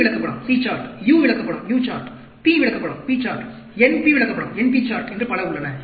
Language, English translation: Tamil, There are something called C chart, U chart, P chart, NP chart